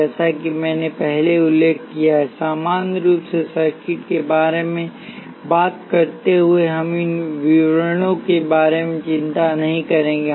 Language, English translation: Hindi, As I mentioned earlier while talking about circuits in general, we will not worry about these details